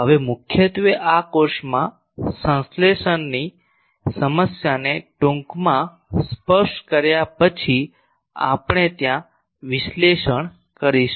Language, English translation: Gujarati, Now mainly in this course we will be first do the analysis there after we will touch briefly the synthesis problem